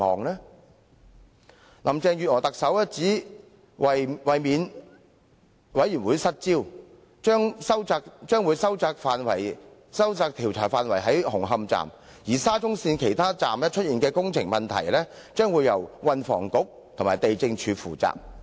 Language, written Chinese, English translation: Cantonese, 特首林鄭月娥表示，為免調查委員會"失焦"，會將調查範圍收窄至紅磡站；至於沙中線其他車站出現的工程問題，則會由運輸及房屋局及地政總署負責。, According to Chief Executive Carrie LAM in order to avoid the inquiry of the Commission of Inquiry getting out of focus the scope should be limited to Hung Hom Station . As for the construction problems found in other stations of SCL the Transport and Housing Bureau and the Lands Department will be responsible for investigation